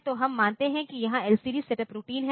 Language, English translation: Hindi, So, we assume that there is an LCD setup routine